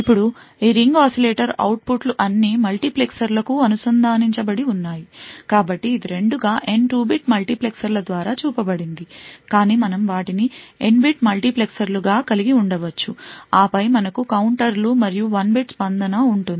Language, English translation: Telugu, Now, we have all of these ring oscillator outputs connected to multiplexers, so this is shown as two N by 2 bit multiplexers but we can actually have them as N bit multiplexers, and then you have counters and response which is of 1 bit